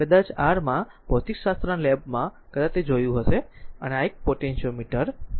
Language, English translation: Gujarati, Perhaps in physics lab in your in your you might have seen it, right this is a potentiometer